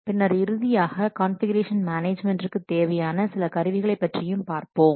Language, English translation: Tamil, Then we'll see some of the tools available for configuration management